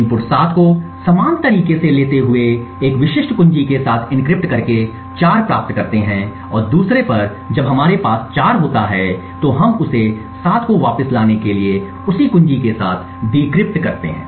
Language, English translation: Hindi, In a similar way by taking the input 7 encrypting it with a specific key and obtaining 4 and at the other end when we have 4 we decrypt it with the same key to obtain back the 7